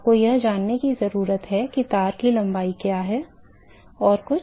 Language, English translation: Hindi, You need to know what is the length of the wire anything else yeah